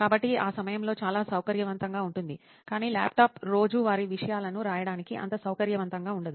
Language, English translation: Telugu, So that is very convenient that time but laptop is not that convenient for writing everyday thing